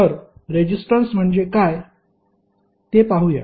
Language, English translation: Marathi, So, let see what see what is resistance